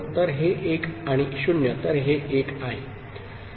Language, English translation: Marathi, So, 1 and 0, so this is 1